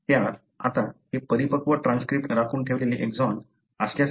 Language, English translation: Marathi, Now, it is because of the, it functions as if it is an exon that is retained in the mature transcript